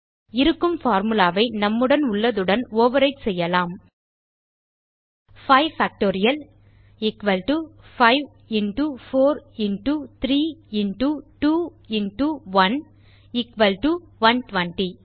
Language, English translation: Tamil, So let us overwrite the existing formula with ours: 5 Factorial = 5 into 4 into 3 into 2 into 1 = 120